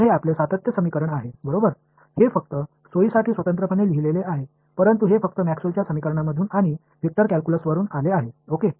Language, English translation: Marathi, So, this is your continuity equation right, it is just written separately just for convenience, but it just comes from Maxwell’s equations and vector calculus ok